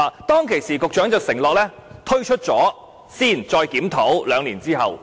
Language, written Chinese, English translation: Cantonese, 當時局長承諾先推出，兩年後再檢討。, At that time the Secretary undertook to introduce OALA first and conduct a review two years later